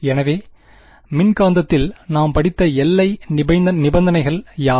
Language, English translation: Tamil, So, what are the boundary conditions that we have studied in the electromagnetic